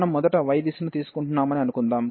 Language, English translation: Telugu, So, suppose we are taking the direction of y first